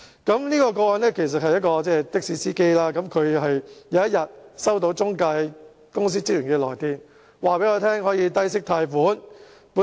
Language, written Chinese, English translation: Cantonese, 這宗個案的事主是一名的士司機，有一天他收到中介公司職員的來電，告訴他能夠低息貸款。, The victim of this case was a taxi driver . One day he received a phone call from the staff of an intermediary offering him a low - interest loan